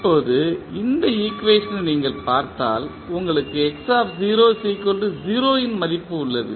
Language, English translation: Tamil, Now, if you see this particular equation in this you have the value of x at time t is equal to 0